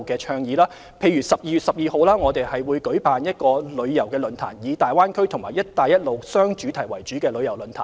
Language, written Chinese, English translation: Cantonese, 例如，我們會在12月12日舉辦一個以大灣區及"一帶一路"為雙主題的旅遊論壇。, For example on 12 December we will hold a tourism forum with the two themes of the Greater Bay Area and Belt and Road